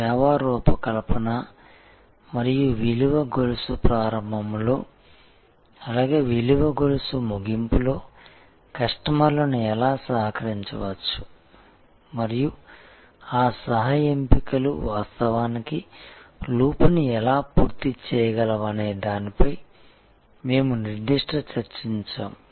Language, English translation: Telugu, We had a specific discussion on service design and how customers can be co opted in the beginning of the value chain as well as the end of the value chain and can how those co options can actually complete the loop